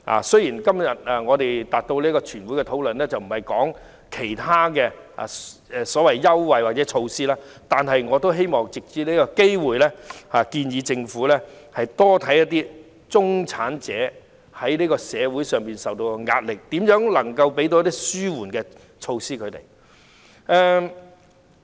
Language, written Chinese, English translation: Cantonese, 雖然其他優惠或措施已超出全體委員會今天的討論範圍，但我也希望藉此機會，建議政府多留意中產人士在社會上承受的壓力，並研究如何為他們提供紓緩措施。, Although other concessions or measures fall outside the scope of discussion of the committee of the whole Council today I still hope to take this opportunity to urge the Government to pay more attention to the pressure facing the middle class in the community and study ways to formulate relief measures for them